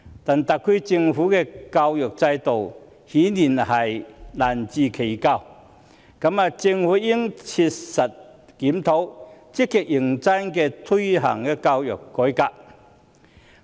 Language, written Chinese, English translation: Cantonese, 但特區的教育制度顯然難辭其咎，政府應切實檢討，積極認真推行教育改革。, Apparently the education system of the SAR has failed to perform . The Government should practicably review and implement actively and seriously the education reform